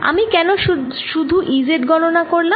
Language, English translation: Bengali, why i am calculating e z